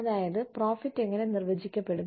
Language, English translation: Malayalam, That is, how profit is defined